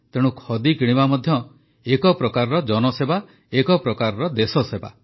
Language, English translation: Odia, That is why, in a way, buying Khadi is service to people, service to the country